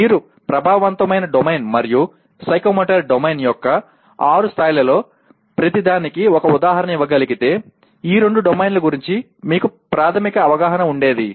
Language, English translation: Telugu, If you are able to give one example for each one of the six levels of Affective Domain and Psychomotor Domain possibly you would have got a basic understanding of these two domains